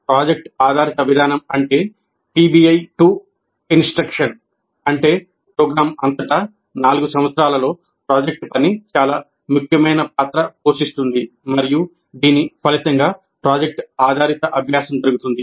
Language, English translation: Telugu, And the project based approach, or PBI, to instruction, essentially means that project work plays a very significant role throughout the program, throughout all the four years, and this results in project based learning